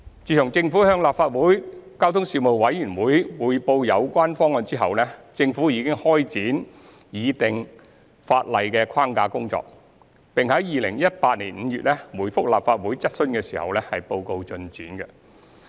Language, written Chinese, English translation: Cantonese, 自政府向立法會交通事務委員會匯報有關方案後，政府已開展擬定法例框架的工作，並於2018年5月回覆立法會質詢時報告進展。, Since the Government briefed the Legislative Council Panel on Transport the Panel on the relevant proposals the Government has commenced the formulation of the legal framework and reported the progress in the reply to a question from the Legislative Council in May 2018